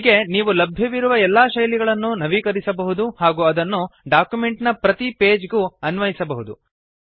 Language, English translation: Kannada, Likewise you can do modifications on all the available default styles and apply them on each page of the document